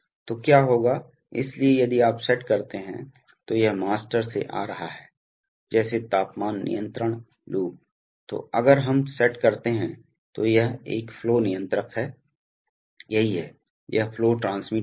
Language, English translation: Hindi, So, what will happen is that, so if you set up, so this is the one coming from the master, say temperature control loop, then if we set up this is a flow controller, this is the, this is the flow transmitter